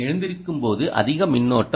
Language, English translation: Tamil, waking up requires more current, right